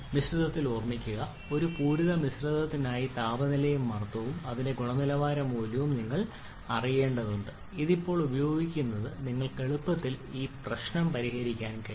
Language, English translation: Malayalam, For a saturated mixture you need to know either of temperature and pressure and the quality value for this and using this now you can easily solve this problem